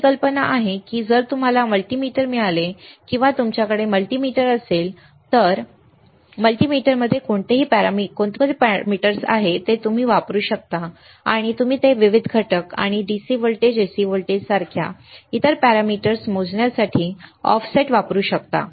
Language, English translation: Marathi, Our idea is to understand if you get a multimeter or if you have the multimeter which what are the parameters within the multimeter that you can use it and you can operate it for measuring different components, or other parameters like DC voltage, AC voltage, DC current, AC current resistance capacitance frequency, right